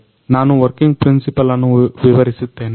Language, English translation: Kannada, Now, I will explain the working principle